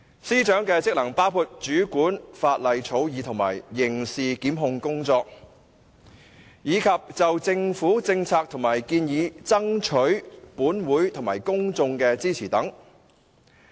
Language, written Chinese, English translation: Cantonese, 司長的職能包括主管法例草擬和刑事檢控工作，以及就政府政策和建議爭取本會及公眾支持等。, The functions of SJ include controlling law drafting and criminal prosecutions soliciting support from this Council and the public for government policies and proposals etc